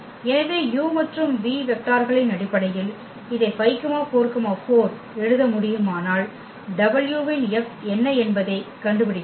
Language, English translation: Tamil, So, if we can write down this 5 4 4 in terms of the vectors u and v then we can find out what is the F of w